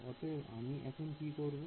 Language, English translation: Bengali, So, what I am going to do